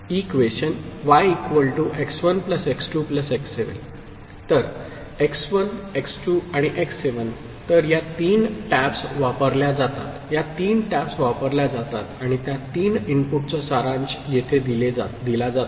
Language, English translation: Marathi, So, x1 x2 and x7 so, these three taps are used, these three taps are used and they are these three inputs are summed up here